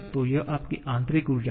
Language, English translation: Hindi, So, this is your internal energy